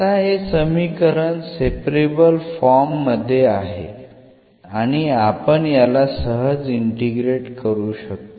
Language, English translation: Marathi, Now, this equation is in separable form and we can integrate this easily